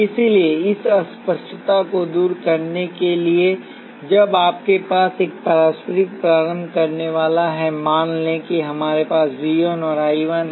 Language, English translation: Hindi, So, to remove this ambiguity, when you have a mutual inductor, let say we have V 1 and I 1